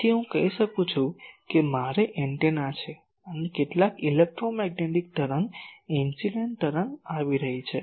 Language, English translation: Gujarati, So, I can say that suppose I have a this is an antenna and some electromagnetic wave incident wave is coming